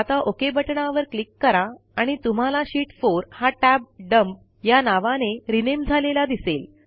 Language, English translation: Marathi, Click on the OK button and you see that the Sheet 4 tab has been renamed to Dump